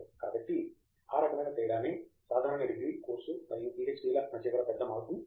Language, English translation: Telugu, So, that kind of represents the big shift between a normal degree course and PhD